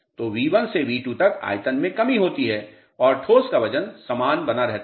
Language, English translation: Hindi, So, there is a reduction in volume from V1 to V2, the weight of solids remain same